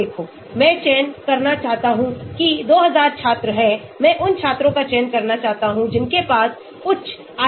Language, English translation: Hindi, I want to select there are 2000 students, I want to select students who might think have high IQ